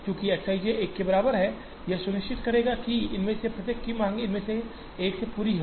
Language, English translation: Hindi, Since X i j equal to 1 will ensure that, the demand of each of these is met from only one of these